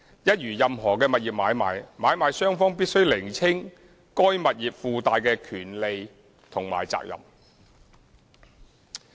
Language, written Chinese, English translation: Cantonese, 一如任何物業買賣，買賣雙方必須釐清該物業附帶的權利和責任。, As in any property transactions both the purchaser and vendor are obliged to clarify the rights and obligations associated with the property